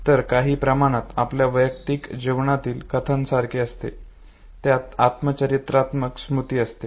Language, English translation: Marathi, So it is somewhere like your personal life narrative that constitutes the autobiographical memory